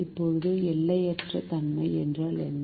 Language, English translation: Tamil, now, what is unboundedness